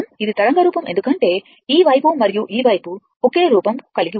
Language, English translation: Telugu, It is symmetrical because this side and this side is same look